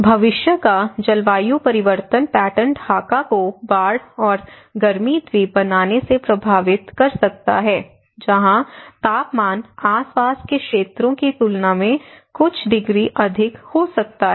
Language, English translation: Hindi, The future climate change pattern may impact Dhaka from flooding and creating heat island where temperature may become a few degrees higher than the surrounding areas